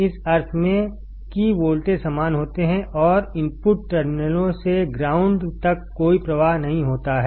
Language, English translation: Hindi, In the sense that the voltages are same and no current flows from the input terminals to the ground